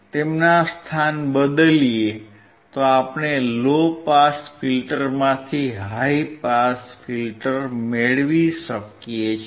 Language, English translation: Gujarati, And you can get high pass filter from low pass filter